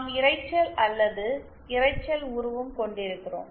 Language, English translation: Tamil, Then we have noise or as we call Noise figure